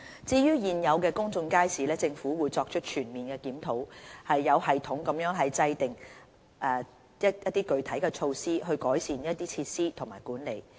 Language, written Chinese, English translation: Cantonese, 至於現有的公眾街市，政府會作出全面檢討，有系統地制訂具體措施以改善設施和管理。, Regarding existing public markets the Government will conduct a comprehensive review and formulate specific improvement measures for both the facilities and their management in a systematic manner